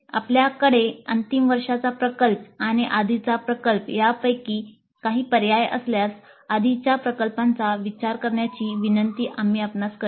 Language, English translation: Marathi, And if you have a choice between final year project and earlier project, we request you to consider earlier project